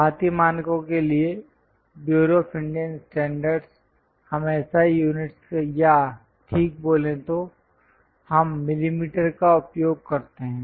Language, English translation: Hindi, For Indian standards, Bureau of Indian standards we use SI units or precisely speaking we use millimeters